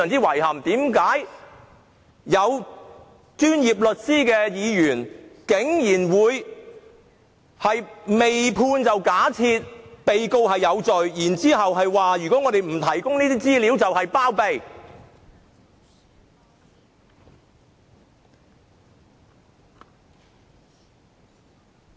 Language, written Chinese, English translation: Cantonese, 為何擁有專業律師資格的議員，竟然會未判先假定被告有罪，更指不提供資料便等同包庇？, Why on earth would Members who are qualified lawyers presume that the defendant is guilty even before the judgment is delivered and even claim that failure to provide information is tantamount to shielding the defendant?